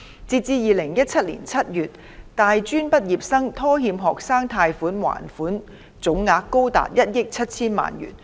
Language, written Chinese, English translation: Cantonese, 截至2017年7月，大專畢業生拖欠學生貸款還款總額高達1億 7,000 萬元。, As at July 2017 the total amount of defaults on student loan repayment by post - secondary graduates stood at 170 million